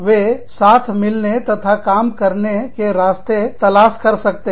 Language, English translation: Hindi, They could find a way, of getting together, and working